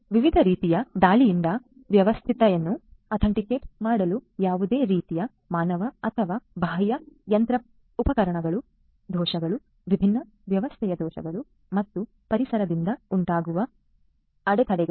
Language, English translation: Kannada, So, as to make the system robust from different types of attacks; any kind of human or external machinery errors, different system faults and disruptions from environment